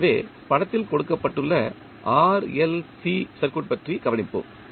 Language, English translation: Tamil, So, let us consider the RLC circuit which is given in the figure